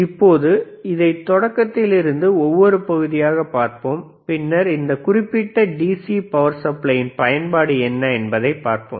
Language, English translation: Tamil, Now, so to start this one, right, , let us first see each section, and then we see what is the role of this particular DC power supply is;